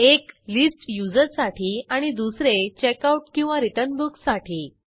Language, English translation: Marathi, One for List Users and the other for Checkout/Return Book